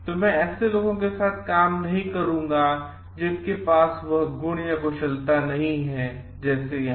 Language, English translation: Hindi, I will not be working with people who do not who possess some qualities like here